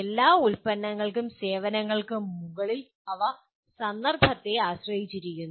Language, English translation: Malayalam, For all products and services and on top of that they are context dependent